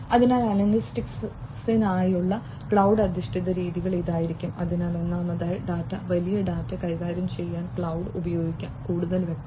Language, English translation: Malayalam, So, cloud based methods for analytics would be; so first of all, cloud could be used for handling data big data, more specifically